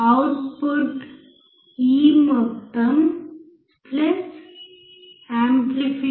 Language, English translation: Telugu, output will be the sum of this plus amplification